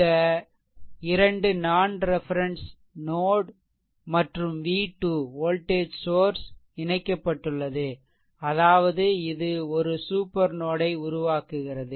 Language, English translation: Tamil, these 2 are non reference node and in v 2 in 1 voltage source is connected; that means, it is a it is forming a supernode, right